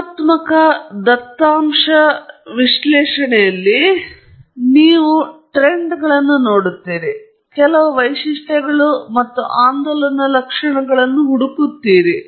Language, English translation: Kannada, In qualitative data analysis, for example, you look at trends; you are searching for certain features and oscillatory features, for example